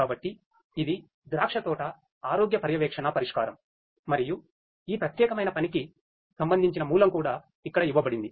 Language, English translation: Telugu, So, this is the vineyard health monitoring solution and the corresponding source for this particular work is also given over here